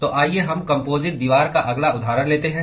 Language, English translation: Hindi, So, let us take the next example of Composite wall